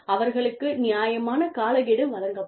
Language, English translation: Tamil, They should be given, reasonable deadlines